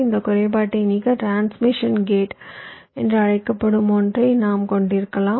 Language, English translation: Tamil, so to remove this drawback, i mean we can have something called as transmission gate